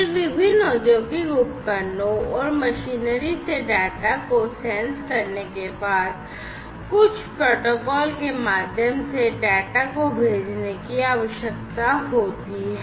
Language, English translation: Hindi, Then, after the data are sensed from these different industrial equipment’s, machinery, and so on, the data will have to be sent through some medium following certain protocols